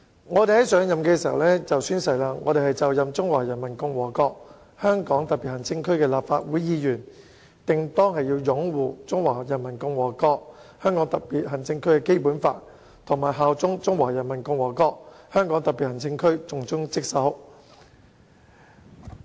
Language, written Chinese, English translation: Cantonese, 我們在上任前會讀出以下誓言：本人就任中華人民共和國香港特別行政區的立法會議員，定當擁護《中華人民共和國香港特別行政區基本法》，效忠中華人民共和國香港特別行政區，盡忠職守。, Before we assume office we have to read out the oath as follows I swear that being a member of the Legislative Council of the Hong Kong Special Administrative Region of the Peoples Republic of China I will uphold the Basic Law of the Hong Kong Special Administrative Region of the Peoples Republic of China bear allegiance to the Hong Kong Special Administrative Region of the Peoples Republic of China and serve the Hong Kong Special Administrative Region conscientiously